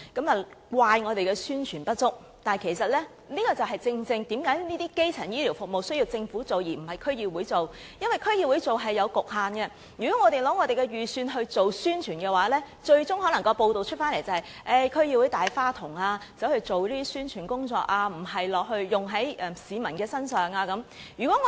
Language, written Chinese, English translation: Cantonese, 有評論怪責我們宣傳不足，但其實這正是基層醫療服務工作應由政府而不是區議會來做的原因，因為區議會是有局限的，如果我們使用撥款來做宣傳，最終可能會有報道指區議會是"大花筒"，花錢做宣傳工作，而不是用在市民身上。, Some critiques have blamed us for inadequate publicity but actually this is exactly the reason why primary health care work should be carried out by the Government rather than DCs . It is because DCs are subject to limitations . If we use the funding for publicity eventually there may be news reports accusing DCs of being spendthrifts lavishing money on publicity rather than spending it on members of the public